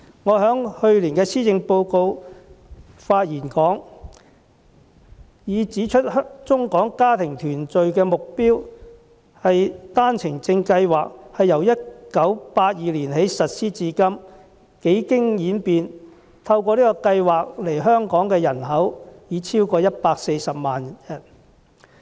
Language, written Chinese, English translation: Cantonese, 我在去年就施政報告的發言中，已指出幫助中港家庭團聚的單程證計劃，由1982年起實施至今，幾經演變，透過計劃來港的人口已超過140萬人。, In the speech I made last year on the Policy Address I pointed out that the One - Way Permit Scheme which to enables Mainland - HKSAR family reunion has undergone multiple many changes since its inauguration in 1982 with more than 1.4 million people having settled in Hong Kong through the scheme